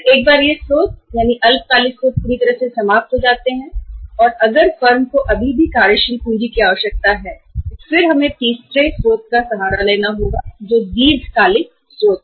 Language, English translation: Hindi, And then once these sources, short term sources are fully exhausted by the firm still there is a requirement of the working capital then we have to resort to the third source that is the long term sources